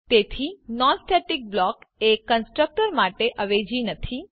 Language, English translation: Gujarati, So non static block is not a substitute for constructor